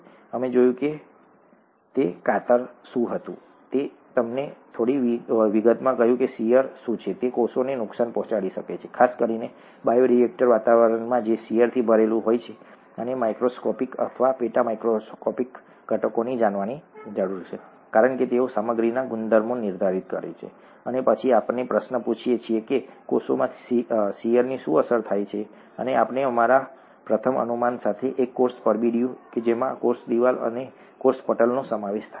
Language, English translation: Gujarati, We saw what shear was; I told you in some detail what shear was and that it can cause damage to cells, especially in an environment such as a bioreactor environment which is full of shear, and the microscopic or the sub micoscopic components need to be known because they determine the properties of materials, and then we ask the question what gets affected by shear in cells and we came up with our first guess, a cell envelope which consists of a cell wall and a cell membrane